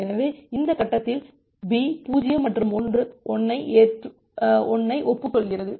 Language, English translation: Tamil, So, at this stage B acknowledges 0 and 1